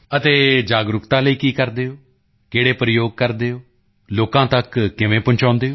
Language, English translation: Punjabi, And what do you do for awareness, what experiments do you use, how do you reach people